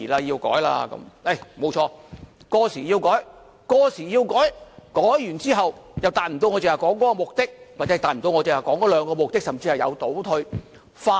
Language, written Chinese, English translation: Cantonese, 沒有錯，過時是要修改，改完之後卻達不到我剛才說的目的，或是達不到我剛才說的兩個目的，甚至有所倒退。, Right we have to amend anything that is outdated . But the amendments this time around may not achieve the objective or the two objectives I have said just now . There are even setbacks